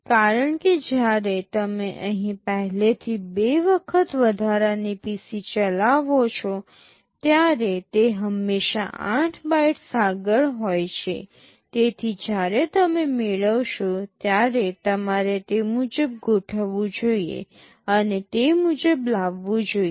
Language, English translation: Gujarati, Because when you are executing here already incremented PC two times it is always 8 bytes ahead, so that when you are fetching you should accordingly adjust and fetch accordingly